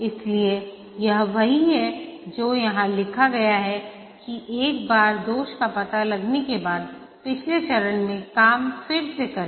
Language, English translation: Hindi, So, that's what is written here that once the defect is detected, redo the work in the previous pages